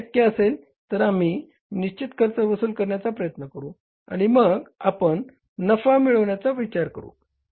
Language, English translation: Marathi, If it is possible then we try to recover the fixed cost and then we think of earning the profits